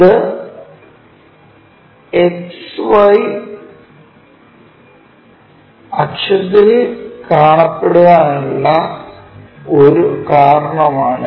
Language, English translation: Malayalam, So, that is a reason it is on XY axis